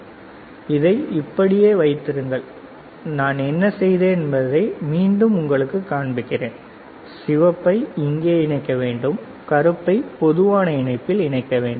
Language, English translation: Tamil, So, keep it like this, what I have done I will open it again to show it to you what I have done you see red goes here black is common right and we insert it, right